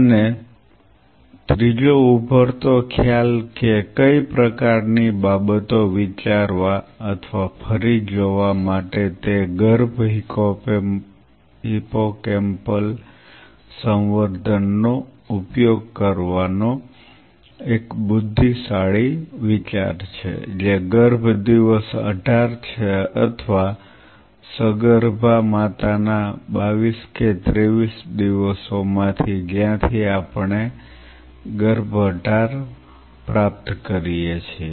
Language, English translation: Gujarati, And third emerging concept which kind of made things to think or revisit is it a wise idea to use a fetal hippocampal culture which is fetal day 18 or of the 22 23 days of pregnant mother from where we derive the fetus e 18 fetus is it a good model system to evaluate Alzheimer’s system